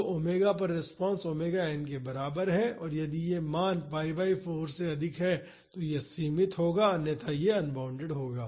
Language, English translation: Hindi, So, the response at omega is equal to omega n will be limited if this value is greater than pi by 4, otherwise it will be unbounded